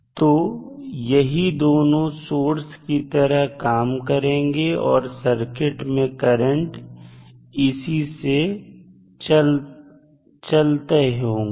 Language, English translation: Hindi, So, these 2 would be considered as a source which provide current to the circuit